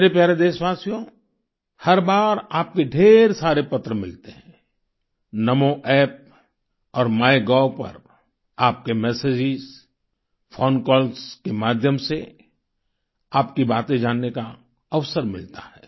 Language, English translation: Hindi, every time, lots of your letters are received; one gets to know about your thoughts through your messages on Namo App and MyGov and phone calls